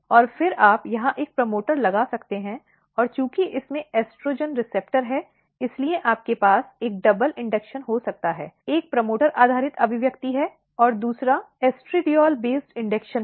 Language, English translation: Hindi, And then you can put a promoter here, and since it has a estrogen receptor, you can have a double induction, one is the promoter based expression and the second is the estradiol based induction